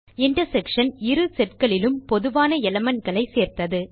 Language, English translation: Tamil, The intersection includes only the common elements from both the sets